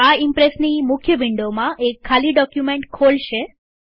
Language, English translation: Gujarati, This will open an empty presentation in the main Impress window